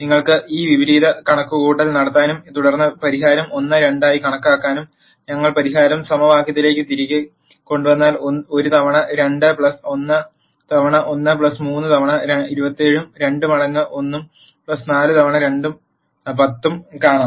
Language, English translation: Malayalam, You can do an inverse computation and then calculate the solution as 1 2 and if we put the solution back into the equation, you will see 1 times 2 plus 1 times 1 plus 3 times 2 is 7 and 2 times 1 plus 4 times 2 is 10